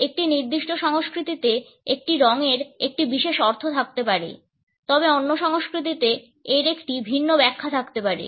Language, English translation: Bengali, A color may have a particular meaning in a particular culture, but in the other culture it may have a different interpretation